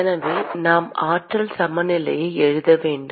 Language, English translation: Tamil, So, we need to write energy balance